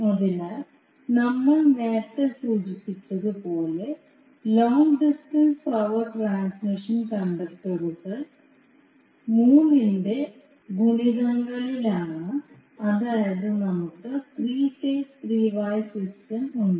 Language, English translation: Malayalam, So as we mentioned earlier the long distance power transmission conductors in multiples of three, that is we have three phase three wire system so are used